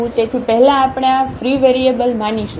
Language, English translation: Gujarati, So, first we will assume these free variables